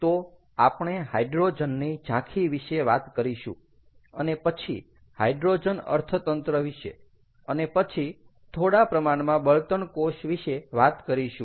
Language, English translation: Gujarati, ok, so we are going to talk about hydrogen overview, ah, hydrogen economy, and then about fuel cells